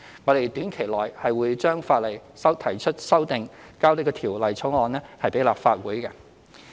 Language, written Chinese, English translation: Cantonese, 我們短期內會對法例提出修訂，並將有關法案提交立法會。, We will propose legislative amendments and introduce the relevant bill into the Legislative Council shortly